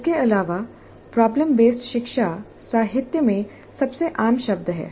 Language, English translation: Hindi, Further, problem based learning is the most common term in the literature